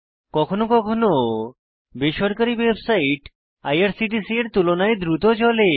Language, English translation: Bengali, Sometimes private websites are faster than irctc